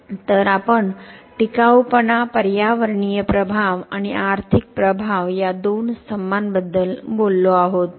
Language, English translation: Marathi, So, we have talked about the two pillars of sustainability, environmental impact and economic impact